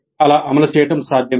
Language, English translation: Telugu, It is possible to implement like that